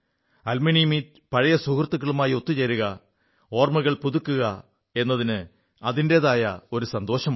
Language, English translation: Malayalam, Actually, an alumni meet is an occasion for old friends to come together, refresh memories; these are happy moments indeed